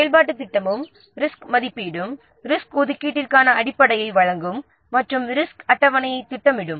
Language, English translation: Tamil, Then the activity plan and the risk assessment would provide the basis for the resource allocation and the resource schedule